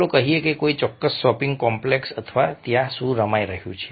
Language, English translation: Gujarati, let's say a particular shopping from complex or what is being played over there